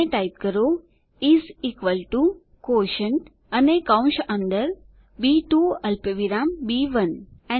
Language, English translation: Gujarati, And type is equal to QUOTIENT, and within the braces, B2 comma B1